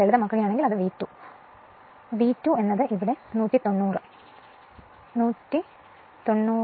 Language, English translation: Malayalam, If you simplify, it will become V 2, V 2 dash will become here it is 190; 190 192